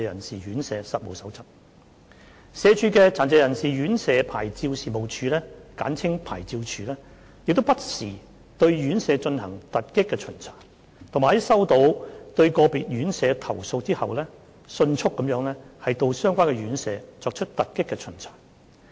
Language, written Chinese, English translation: Cantonese, 社會福利署的殘疾人士院舍牌照事務處不時對院舍進行突擊巡查，以及在收到對個別院舍投訴後迅速到相關院舍作出突擊巡查。, The Licensing Office of Residential Care Homes for Persons with Disabilities LORCHD of the Social Welfare Department SWD conducts surprise inspections of RCHDs from time to time and will promptly conduct surprise inspections upon receipt of complaints